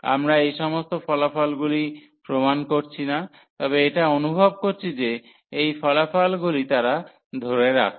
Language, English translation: Bengali, So, we are not proving all these results, but by intuition we can see all these results that they hold